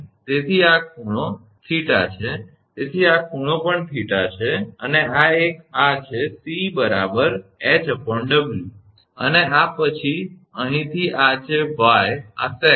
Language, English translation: Gujarati, So, this angle is theta therefore, this angle is also theta and this one this let c which H upon W, and this then from here this is this y this is the sag